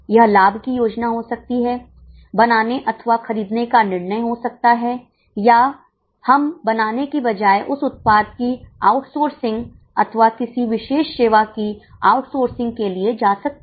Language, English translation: Hindi, It could be profit planning, it could be make or a decision or instead of we making we can go for outsourcing that product or going for outsourcing of a particular service